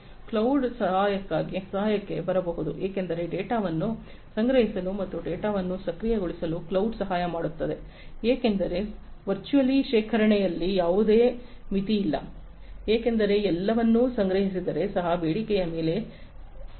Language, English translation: Kannada, Cloud can come to the help, because cloud can help in storing the data and also processing the data, because there is as such virtually there is no limit on the storage because if everything the storage is also obtained on demand